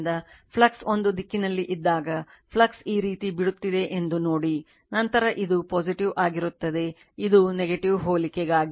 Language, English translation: Kannada, So, whenever flux I mean whenever you take in a direction, you see that flux is leaving like this, then this will be your plus, this is minus for analogous